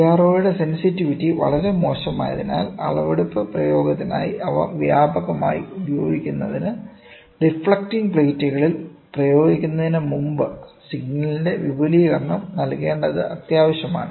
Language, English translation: Malayalam, Since the sensitivity of CRO is very poor, in order to use them extensively for measurement application, it is essential to provide amplification of the signal before it is applied to the deflecting plates